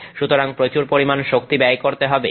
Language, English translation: Bengali, So, a lot of energy is going to be spent